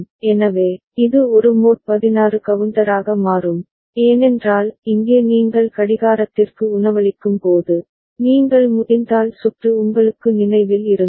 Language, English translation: Tamil, So, it will become a mod 16 counter ok, because here when you are feeding the clock, so if you can if you remember the circuit